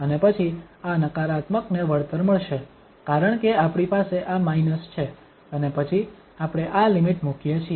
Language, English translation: Gujarati, And then this negative will become compensated because we have this minus and then we put this limit